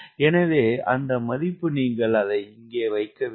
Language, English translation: Tamil, so that value you have to put it here